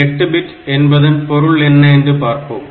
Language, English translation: Tamil, So, let us try to understand the meaning 8 bit means